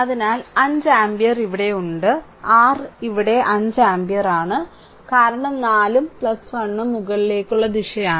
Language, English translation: Malayalam, So, that means, 5 ampere is here 5 ampere is here your here it is 5 ampere because 4 and plus 1 both are upwards